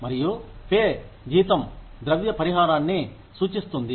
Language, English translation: Telugu, And, pay salary refers to the, monetary compensation